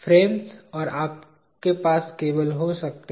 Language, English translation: Hindi, Frames and you can have cables